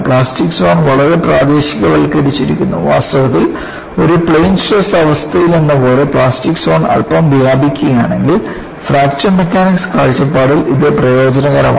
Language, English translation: Malayalam, The plastic zone is highly localized and in fact, if the plastic zone is slightly spread as in a plane stress condition, it is beneficial from Fracture Mechanics point of view